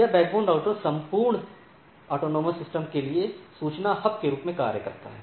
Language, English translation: Hindi, So, this backbone router acts as the information hub for the whole autonomous system